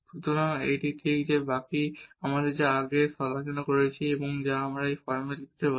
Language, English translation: Bengali, So, this is exactly the remainder which we have discussed before and which we can write down in this form